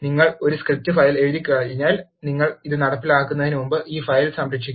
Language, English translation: Malayalam, Once you write a script file, you have to save this file before you execute it